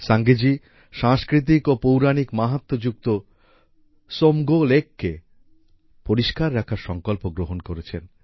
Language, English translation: Bengali, Sange ji has taken up the task of keeping clean the Tsomgo Somgo lake that is of cultural and mythological importance